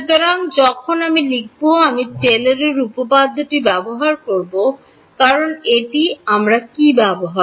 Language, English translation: Bengali, So, when I write I will use Taylor’s theorem, because that is what we used